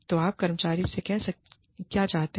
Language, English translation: Hindi, So, what do you want, from the employee